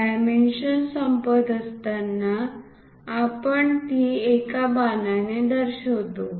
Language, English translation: Marathi, When dimension is ending, we show it by arrow